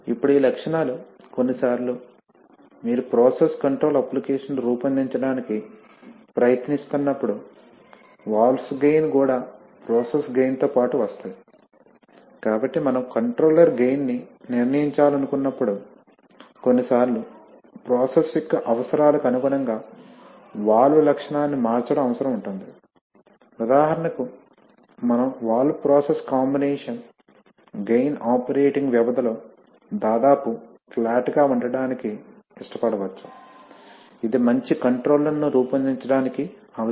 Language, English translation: Telugu, Now these characteristics, sometimes, you know especially when you are trying to design process control application, the valves gain, the valve gain also comes along with the process gain, so if, so when we want to decide the, decide the controller gain then sometimes it is, it is desirable that we change the valve characteristic to actually suit the requirements of the process, for example as we shall see that, we can, we may like to have that the valve process combination gain remains more or less flat over the operating period, this may be a requirement for designing a good controller